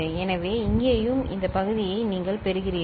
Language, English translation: Tamil, So, here also you get this quotient